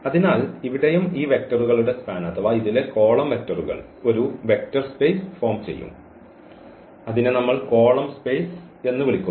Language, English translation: Malayalam, So, here also the span of these vectors of or the columns, column vectors of this a will also form a vector space which we call the column space